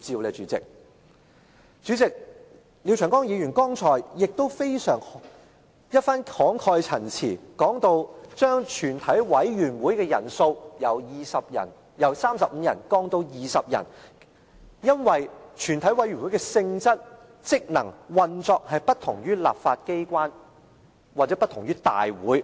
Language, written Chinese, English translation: Cantonese, 代理主席，廖長江議員剛才的一番慷慨陳辭，說到將全體委員會的人數由35人降至20人，是因為全體委員會的性質、職能和運作不同於立法機關或不同於大會。, Deputy President Mr Martin LIAO has delivered an impassioned speech on his proposal to reduce the quorum of a committee of the whole Council to 20 Members from 35 Members . According to him the quorum reduction is justified because the nature function and operation of a committee of the whole Council are different in the legislature and from the Council